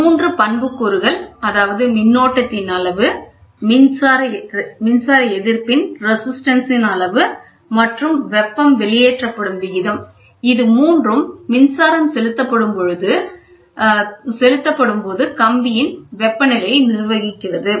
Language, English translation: Tamil, Three attributes, namely magnitude of current, resistivity of the current and the rate at which the heat is dissipated governs the temperature for a given wire through the electric current flows